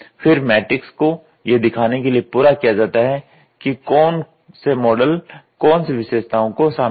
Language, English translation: Hindi, The matrix is then completed to show which models incorporate which features